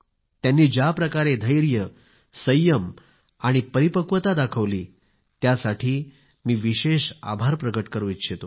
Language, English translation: Marathi, I am particularly grateful to them for the patience, restraint and maturity shown by them